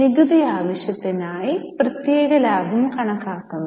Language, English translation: Malayalam, For the tax purpose we calculate separate profit